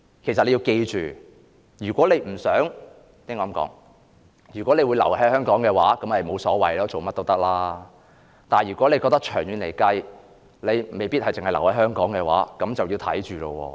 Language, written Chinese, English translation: Cantonese, 其實你要緊記，如果你不想——我該這麼說——如果你會留在香港的話，那就沒甚麼所謂，你做甚麼都可以，但長遠來說，如果你未必留在香港的話，那就要自己看着辦了。, The financial measures in your mind right now actually please bear in mind that if you do not want―I should put it this way―if you are going to stay in Hong Kong it will be alright for you to do whatever you want . But if you in the long run may not stay in Hong Kong you had better play it by ear